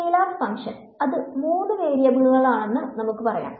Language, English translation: Malayalam, Scalar function and let us say it is of three variables